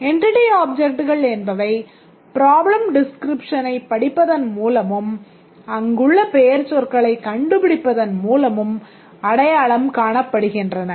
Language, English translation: Tamil, And the entity objects are normally identified by reading the problem description and finding the nouns there